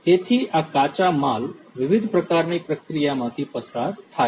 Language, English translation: Gujarati, So, these raw materials undergo different types of processing